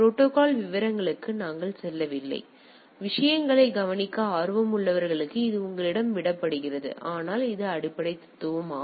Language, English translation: Tamil, We are not going to the details of the protocol it is left to you to those who are interested can look into the things, but we this is the basic philosophy